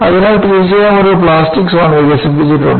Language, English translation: Malayalam, So, definitely there will be a plastic zone developed